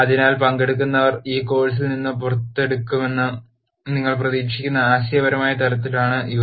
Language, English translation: Malayalam, So, these are at a conceptual level what you would expect the participants to take out of this course